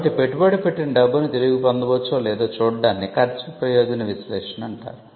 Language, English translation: Telugu, So, it is kind of a cost benefit analysis to see whether the money that is invested could be recouped